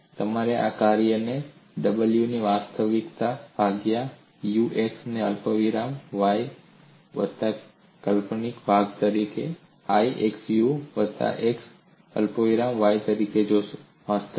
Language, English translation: Gujarati, So you look at this function W as a real part u x comma y plus imaginary part, given as i, into v into v of x comma y